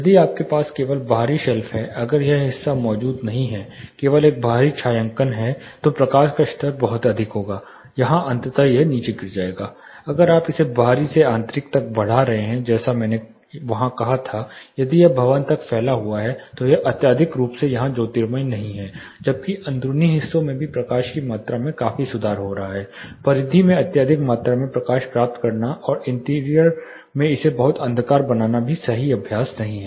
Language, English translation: Hindi, If you have only exterior shelf if this portion is not existing only a external shading kind of then the light level will be very high here eventually it will drop down, if you are also increasing it from exterior to interior like I said there if this extending in to the building then it is not excessively lit here, while the interiors are also fairly getting improved amount of lighting levels it is also not right practice to get excessive amount of light in the periphery and making it too darker in the interior